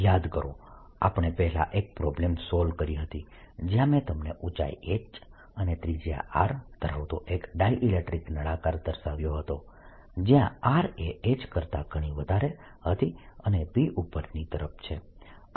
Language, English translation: Gujarati, remember, earlier we had solved a problem where i had given you a dielectric cylinder with height h, radius r, r, much, much, much better than h and p going up